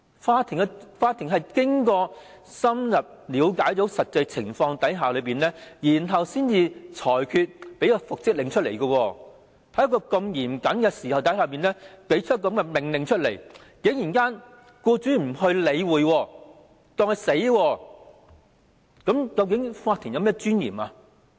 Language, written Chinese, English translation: Cantonese, 法院經過深入了解實際情況後才作出復職令，但僱主竟然對法院經嚴謹考慮作出的命令不予理會，視法院命令如無物，那麼法院的尊嚴何在？, The order for reinstatement is made by the court after thorough consideration of the actual situation if the employer simply ignores the court order where lies the dignity of the court?